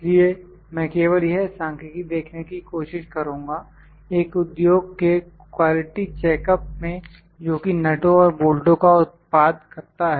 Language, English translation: Hindi, So, I will try to just see this numerical, during the quality checkup in an industry that produces nuts and bolts